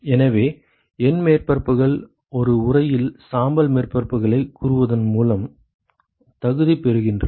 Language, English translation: Tamil, So, N surfaces, qualified by saying gray surfaces in an enclosure ok